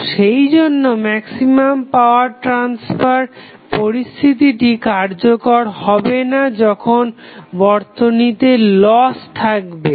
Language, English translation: Bengali, So, that is why the maximum power transfer condition will not be useful when the losses are present in the system